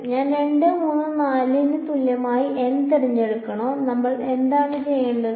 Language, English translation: Malayalam, Should I choose n equal to 2, 3, 4 what should we do